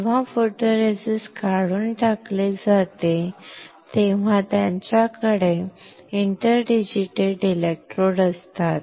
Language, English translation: Marathi, When photoresist is stripped off you have interdigitated electrodes